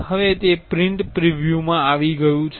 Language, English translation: Gujarati, Now, it has came to print preview